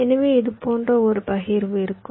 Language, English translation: Tamil, so there will be a partition like this